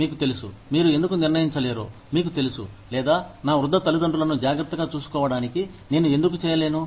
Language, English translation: Telugu, You know, why cannot you determine, you know, or, why cannot I do the same, for taking care of my elderly parents